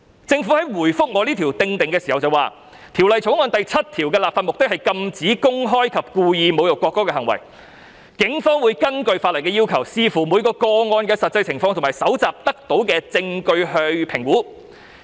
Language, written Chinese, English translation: Cantonese, 政府就我這項修正案回覆表示，《條例草案》第7條的立法目的是禁止公開及故意侮辱國歌的行為，警方會根據法例的要求，視乎每個個案的實際情況及搜集得到的證據作評估。, In response to this amendment of mine the Government has replied that clause 7 of the Bill aims to forbid any person from publicly and intentionally insulting the national anthem . Pursuant to the requirements under the law the Police will make an assessment having regard to the actual circumstances of each case and evidence collected